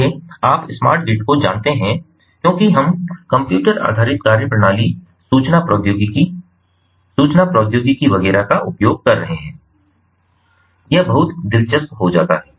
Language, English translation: Hindi, so you know smart grid as we are using computer based methodologies, information technology, communication technology, etcetera, so it becomes, it becomes very interesting